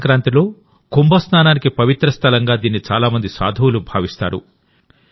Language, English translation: Telugu, Many saints consider it a holy place for Kumbh Snan on Magh Sankranti